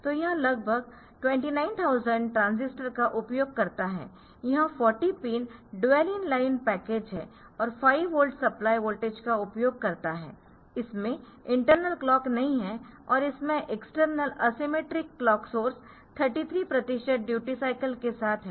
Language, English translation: Hindi, So, it use as the approximately 29000 transistors 40 pin dual in line package and 5 volt supply voltage does not have internal clock and external asymmetric clock source with 33 percent duty cycle